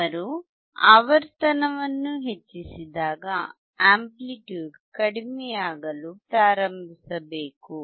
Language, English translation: Kannada, As he increases the frequency the amplitude should start decreasing